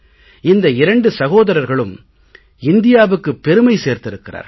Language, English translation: Tamil, These two brothers have brought pride to the Nation